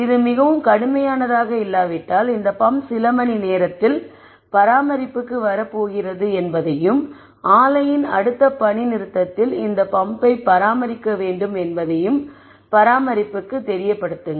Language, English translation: Tamil, If it is not very severe you let the maintenance know that this pump is going to come up for maintenance at some time and in the next shutdown of the plant this pump needs to be maintained